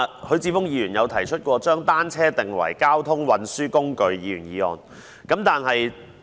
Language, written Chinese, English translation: Cantonese, 許智峯議員曾提出將單車定為交通運輸工具的議員議案。, Mr HUI Chi - fung once moved a Members motion on designating bicycles as a mode of transport